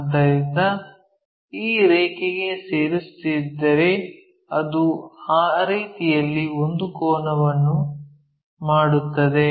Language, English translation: Kannada, So, if we are joining this line, it makes an angle in that way